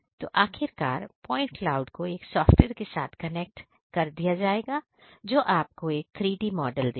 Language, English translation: Hindi, So, ultimately the point clouds will be connected through a software that will give you the output as a 3D model